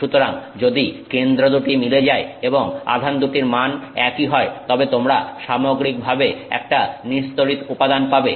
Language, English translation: Bengali, So, if the two centers match and the value of the two charges matches then you have a net neutral material, right